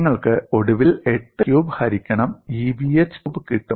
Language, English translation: Malayalam, You finally get the compliance as 8a cube divided by EBh cube